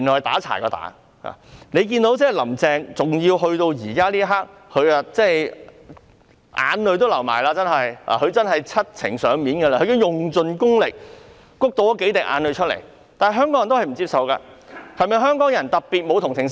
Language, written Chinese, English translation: Cantonese, 大家看到林鄭月娥直到此刻才流淚，她真的是七情上面，用盡功力"谷"出數滴眼淚，但香港人仍不接受，香港人是否特別沒有同情心？, She was really able to master her facial expressions squeezing some tears from her eyes with all her energy . But this is still not acceptable to Hong Kong people . Are Hong Kong people particularly unsympathetic?